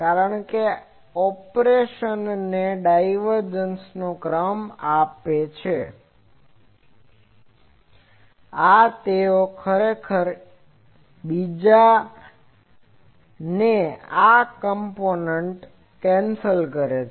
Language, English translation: Gujarati, Because this gives operation the gradient of this divergence and this A they actually cancel each other this component